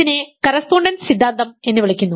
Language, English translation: Malayalam, And this is called correspondence theorem